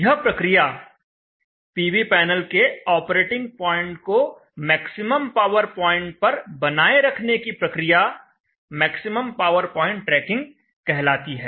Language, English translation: Hindi, The process of doing this always trying to maintain the operating point of the PV panels at maximum power point is called the maximum power point tracking